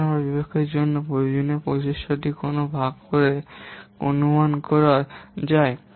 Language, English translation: Bengali, Here the effort which is required to develop a program can be estimated by dividing what